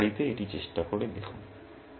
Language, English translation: Bengali, So, do try it out at home